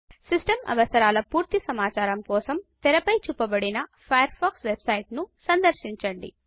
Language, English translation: Telugu, For complete information on System requirements, visit the Firefox website shown on the screen